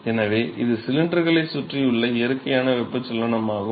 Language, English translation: Tamil, So, this is natural convection around cylinders